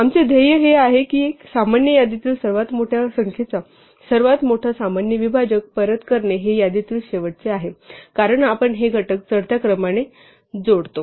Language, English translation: Marathi, Our goal is to return the greatest common divisor of the largest number in this common list which happens to be the last one in this list, since we add these factors in ascending order